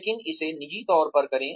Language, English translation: Hindi, But, do it in private